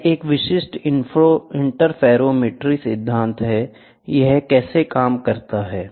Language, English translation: Hindi, This is a typical interferometry principle, how does it work